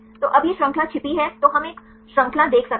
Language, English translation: Hindi, So, now, that chain is hide then we can see one chain